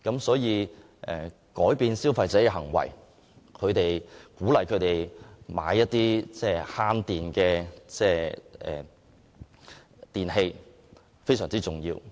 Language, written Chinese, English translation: Cantonese, 所以改變消費者的購物行為，鼓勵他們購買節能的電器非常重要。, Therefore it is extremely important to change the shopping behaviour of consumers and encourage them to buy energy - efficient electrical appliances